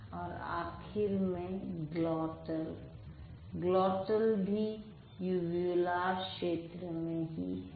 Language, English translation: Hindi, And finally, glottal, also the uvular reason